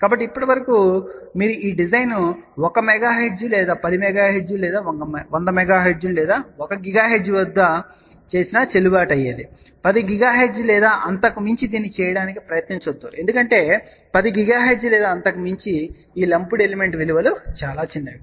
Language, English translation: Telugu, So, till now, you can actually see that this design is valid whether you do at 1 megahertz or 10 megahertz or 100 megahertz or a 1 gigahertz; do not try to do this at 10 gigahertz or beyond because beyond 10 gigahertz or so, these lumped element values are very very small